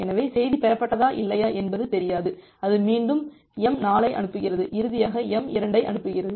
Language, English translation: Tamil, So, it does not know that whether the message has been received or not then it again sends m4 and finally, sends m2